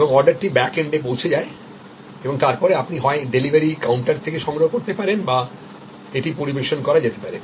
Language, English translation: Bengali, And the order reaches the backend and then you can either go and collect it from the delivery counter or it can be served